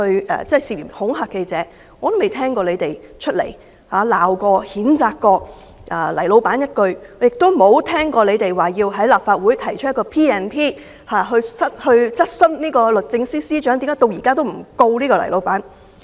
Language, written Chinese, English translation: Cantonese, "但我未曾聽過你們責罵、譴責過"黎老闆"一句，亦沒有聽過你們要在立法會動議根據《立法會條例》來質詢律政司司長為何到現在仍不控告"黎老闆"。, Yet I did not hear Members of the opposition camp lambaste or condemn Boss LAI nor have they propose a motion in this Council on invoking the Legislative Council Ordinance to put a question to the Secretary for Justice as to why Boss LAI has not been charged